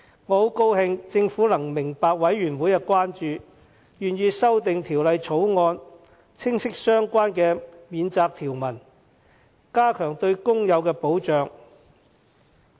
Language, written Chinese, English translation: Cantonese, 我很高興政府明白法案委員會的關注，願意修訂《條例草案》，清晰相關的免責條文，加強對工友的保障。, I am glad that the Government has heeded the concerns of the Bills Committee and readily proposed amendments to the Bill to explicitly provide for a defence to better protect the workers